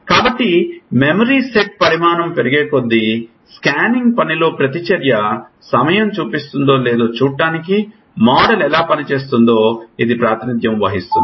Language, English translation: Telugu, So, this is representation of how model could be working like see if the reaction time shows in scanning task increases, as the size of memory set increases